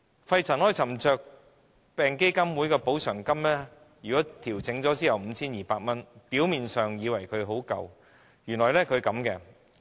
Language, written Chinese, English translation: Cantonese, 肺塵埃沉着病補償基金委員會的補償金調整後的金額是 5,200 元，表面上看似很足夠，但實情卻不是。, The compensation level offered by the Pneumoconiosis Compensation Fund Board PCFB is 5,200 after adjustment . This seems enough ostensibly but is actually not